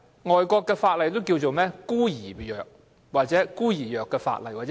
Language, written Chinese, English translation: Cantonese, 外國的法例也稱這些為"孤兒藥"或"孤兒病"的法例。, These laws enacted overseas used the terms orphan drugs and orphan diseases